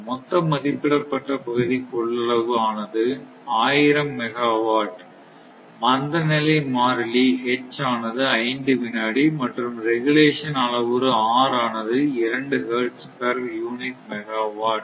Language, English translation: Tamil, The total rated area capacity is given 1000 megawatt right, inertia constant H is given ah 5 second; regulation parameter R is given 2 hertz per unit megawatt here it is given hertz per unit megawatt